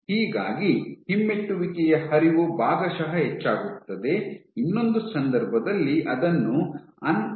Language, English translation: Kannada, So, your retrograde flow is partially increase, in the other case you can have uncoupled